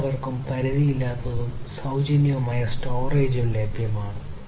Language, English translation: Malayalam, There would be unlimited and free storage available to everyone